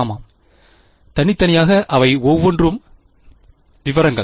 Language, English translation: Tamil, Yeah, individually each of them details